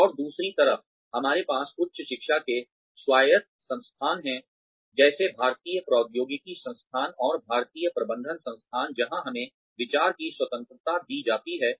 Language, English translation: Hindi, And, on the other side, we have autonomous institutes of higher education like, the Indian Institutes of Technology, and Indian Institutes of Management, where we are given this freedom of thought